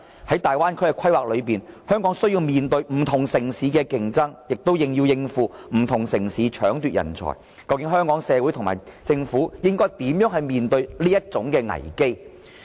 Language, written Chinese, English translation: Cantonese, 在大灣區的規劃中，香港需要面對不同城市的競爭，亦要應付不同城市搶奪人才的挑戰，究竟香港社會和政府如何面對這危機呢？, In the overall planning scheme of the Bay Area Hong Kong must face competition from many different cities in addition to meeting the challenge arising from their scramble for talents . How should our community and the Government tackle this crisis?